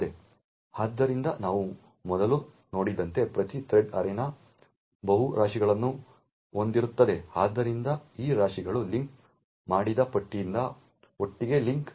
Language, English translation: Kannada, So as we have seen before each thread arena can contain multiple heaps, so these heaps are linked together by linked list